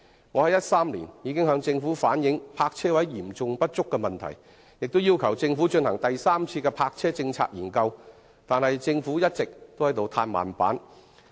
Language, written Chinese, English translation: Cantonese, 我在2013年已經向政府反映泊車位嚴重不足的問題，並要求政府進行第三次泊車政策檢討，但政府卻一直在"歎慢板"。, In 2013 I reflected to the Government the problem of serious shortage of parking spaces and asked it to conduct a third review on its parking policy but the Government has been working at a slow pace